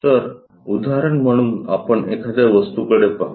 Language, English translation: Marathi, So, let us look at an object